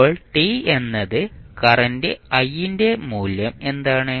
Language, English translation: Malayalam, So, what is the value of current I at time t is equal to 0